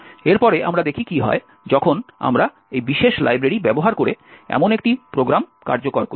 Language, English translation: Bengali, Next, we see what happens when we actually execute a program that uses this particular library